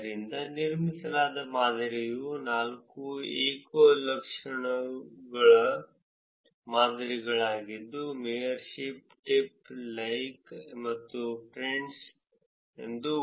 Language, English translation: Kannada, So, the model that was built was four single attribute models for Foursquare, referred to as mayorship, tip, like and friends